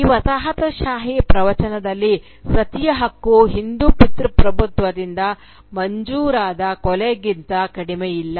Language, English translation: Kannada, In this colonial discourse, the right of Sati was nothing less than the murder sanctioned by the Hindu patriarchy